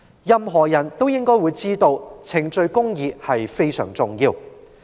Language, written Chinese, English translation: Cantonese, 任何人都知道，程序公義非常重要。, We all know that procedural justice is very important